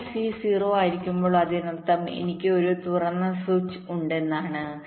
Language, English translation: Malayalam, so when c is zero, it means that i have a open switch